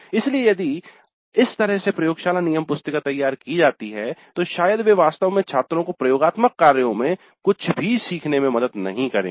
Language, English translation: Hindi, So if that is the way the laboratory manuals are prepared, probably they would not really help the students to learn anything in the laboratory work